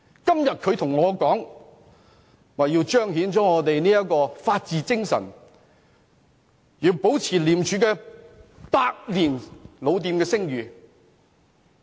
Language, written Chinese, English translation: Cantonese, 今天，他們說道要彰顯法治精神，要保持廉署這間百年老店的聲譽。, Today they claim that they have to manifest the spirit of the rule of law and protect the reputation of ICAC an institution claimed by them as having a century of history